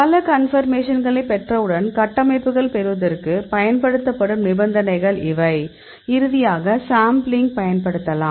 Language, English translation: Tamil, So, you can see once we get several conformations, these are the conditions used for getting these structures; so finally, we use sampling